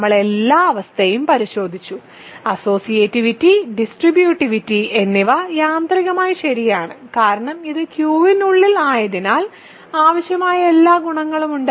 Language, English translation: Malayalam, So, we have checked all the condition; remember associativity of addition, multiplication, distributive property of addition, multiplication are automatically true because this is sitting inside Q which has all the required properties